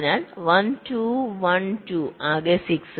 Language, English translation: Malayalam, so one, two, one, two, total six